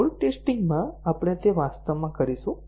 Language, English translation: Gujarati, So, in load testing, we will do that actually